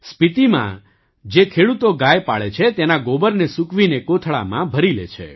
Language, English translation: Gujarati, Farmers who rear cows in Spiti, dry up the dung and fill it in sacks